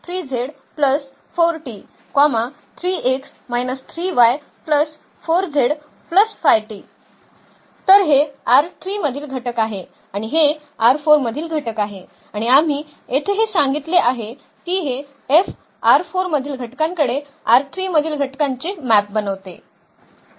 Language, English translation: Marathi, So, this is the element from R 3 and this is the element from R 4 and that is what we said here this F maps an element from R 4 to an element in R 3